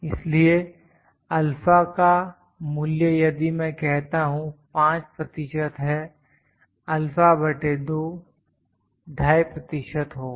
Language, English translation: Hindi, So, the value of alpha, if it is let me say 5 percent alpha by 2, will be 2